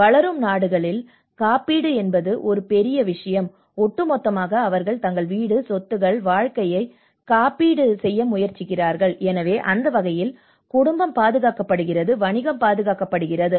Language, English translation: Tamil, Here in a developing countries, insurance is one big thing you know that is where the whole they try to insure their home, their properties, their life so, in that way the family is protected, the business is protected